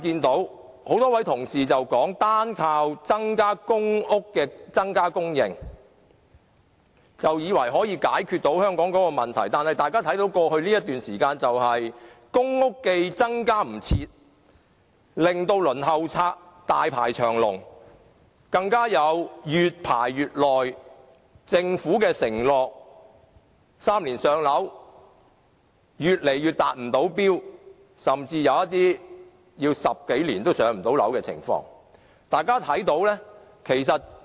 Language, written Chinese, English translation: Cantonese, 多位同事以為單靠增加公屋的供應就可以解決香港的房屋問題，但過去一段時間，公屋既來不及增加，令到輪候冊上的申請者大排長龍，更有越排越久，政府 "3 年上樓"的承諾越來越無法實踐的趨勢，甚至出現有人等了10多年仍無法"上樓"的情況。, Many colleagues think that Hong Kongs housing problem will be solved by increasing the supply of public rental housing PRH alone . But over the years the supply of PRH has not been increased in time resulting in the ever - increasing number of applicants on the Waiting List for PRH . As their waiting time is prolonged the chance of the Government keeping its pledge of three - year waiting time for PRH allocation is getting slimmer